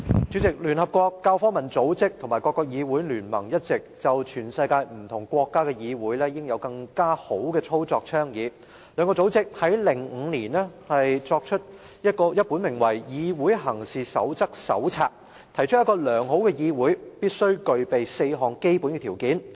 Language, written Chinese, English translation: Cantonese, 主席，聯合國教育、科學及文化組織及各國議會聯盟一直倡議全世界不同國家議會應有更佳的操作，兩個組織在2005年出版了一本名為《議會行事守則手冊》，提出一個良好議會必須具備的4項基本條件。, President the United Nations Educational Scientific and Cultural Organization UNESCO and the Inter - Parliamentary Union have all along been advocating better practice in parliaments of different countries around the world . The two organizations issued A Guide to Parliamentary Practice A Handbook in 2005 . The Guide sets out the four basic requirements of a good parliament